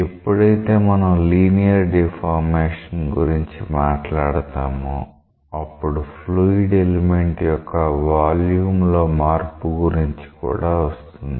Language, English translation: Telugu, When we talk about the linear deformation, it may eventually give rise to a change in volume of the fluid element also